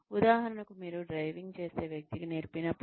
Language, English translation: Telugu, For example, when you teach a person, driving